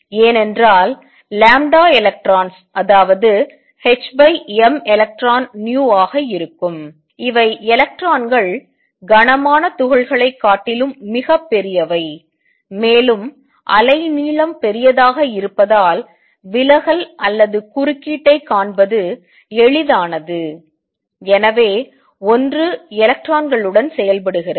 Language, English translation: Tamil, This is because lambda electron which is h over m electron times v is much larger than heavier particles, and larger the wave length easier it is to see the diffraction or interference and therefore, one works with electrons